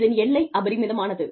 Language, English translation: Tamil, The outreach is immense